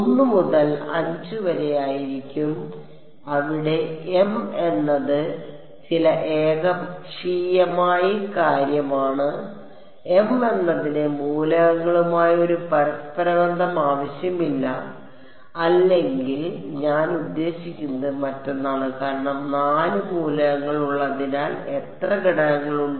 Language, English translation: Malayalam, W m x will be from 1 to 5 where m is some arbitrary thing m need not have a correlation with the elements or whatever I mean because there are how many elements there are 4 elements